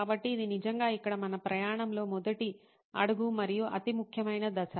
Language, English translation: Telugu, So, this really is the first step and the most important step in our journey here